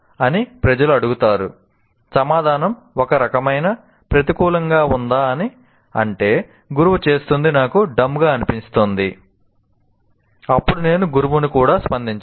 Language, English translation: Telugu, People ask if the answer is kind of negative, yes, the teacher doesn't make, makes me feel dumb, then I will not even approach the teacher